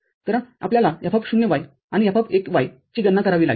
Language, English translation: Marathi, So, we have to calculate F(0,y) and F(1,y)